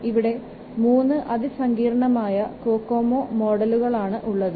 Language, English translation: Malayalam, Three increasingly complex Kokomo models are there